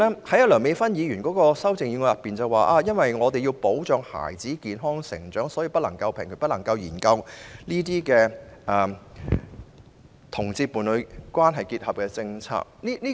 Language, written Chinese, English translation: Cantonese, 第三，梁美芬議員的修正案指因為要保障孩子健康成長，所以不能平權、不能研究讓同志締結伴侶關係的政策。, Third Dr Priscilla LEUNGs amendment mentions the need for protecting the healthy development of children and she therefore says that she cannot support the idea of equal rights for homosexuals and the conduct of any policy studies on allowing them to enter into a union